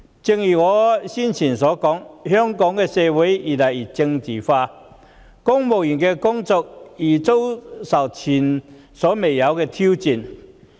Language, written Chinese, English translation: Cantonese, 正如我之前所說，香港社會越來越政治化，公務員的工作也面臨前所未見的挑戰。, As I have said before our society is becoming more and more politicized and civil servants are facing unprecedented challenges in performing their job responsibilities